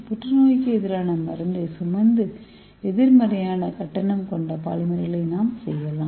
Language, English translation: Tamil, so this is our polymer which is negatively charged at the same time it is carrying the anti cancer drug